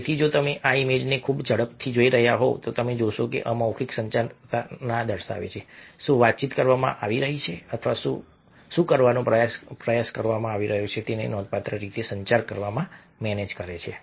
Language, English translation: Gujarati, so if you are looking at this image very quickly, you find that these displays of non verbal communication do manage to communicate significantly: a what is being communicated, or a what is being attempted